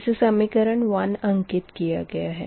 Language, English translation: Hindi, this is, say, equation one